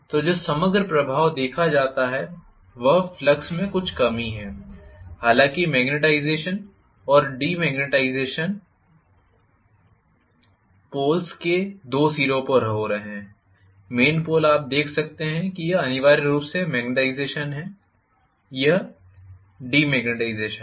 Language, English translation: Hindi, So, the overall effect that is seen is the net reduction in flux, all though magnetization and demagnetization are happening at the 2 ends of the pole, main pole you can see that this is essentially demagnetization, this is magnetization